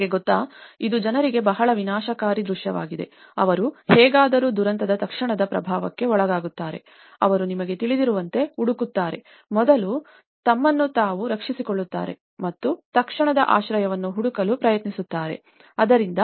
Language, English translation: Kannada, You know, that is very destructive scene for the people, they somehow under the immediate impact of a disaster, they tend to look for you know, first safeguarding themselves and try to look for an immediate shelter, so that is where they moved to the temporary tent camps